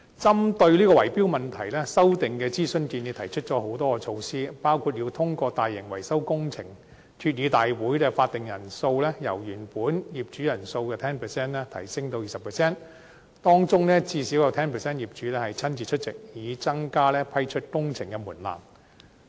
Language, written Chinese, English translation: Cantonese, 針對圍標問題，建議的修訂提出了多項措施，包括要通過大型維修工程，決議大會法定人數由原來業主人數的 10% 提高至 20%， 當中最少 10% 業主親自出席，以提高批出工程的門檻。, The amendment proposals put forth various measures targeting at bid - rigging . One example is that the quorum of a general meeting for the purpose of passing a resolution on endorsing a large - scale maintenance project will be raised from the original 10 % to 20 % of all property owners at least 10 % of whom shall attend the meeting in person as a means of raising the threshold of approving a works project